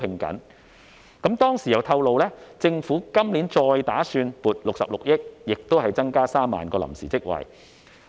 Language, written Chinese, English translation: Cantonese, 當時局方亦透露，政府今年再打算撥出66億元，同樣增加3萬個臨時職位。, The Bureau then also disclosed that the Government planned to allocate another 6.6 billion to likewise provide an additional 30 000 temporary posts this year